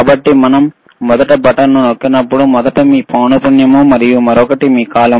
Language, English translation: Telugu, So, when we press the first button, first is your frequency, and another one is your period